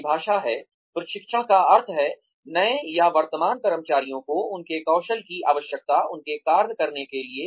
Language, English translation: Hindi, The definition is, training means, giving new or current employees, the skills they need, to perform their jobs